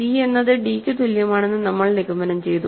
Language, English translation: Malayalam, We have concluded that, c equal to d